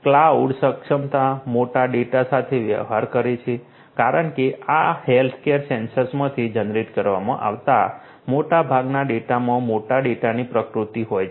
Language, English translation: Gujarati, Cloud enablement, you know dealing with big data because most of this data that is generated from these healthcare sensors have the nature of big data